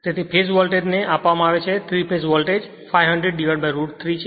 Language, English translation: Gujarati, So, the phase voltage is it is given 3 phase voltage phase voltage is 500 by root 3